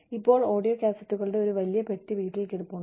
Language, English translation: Malayalam, Now, we have a whole big box of audio cassettes, lying at home